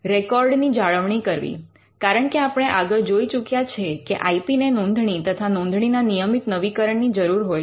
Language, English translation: Gujarati, Maintaining records, because as we have seen the IP’s that require registration also required constant renewal